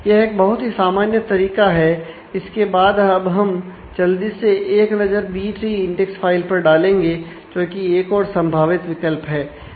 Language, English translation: Hindi, So, that is a very common strategy next let us just take a quick look into the B tree index file which is another alternate possibility the basic difference between a B + tree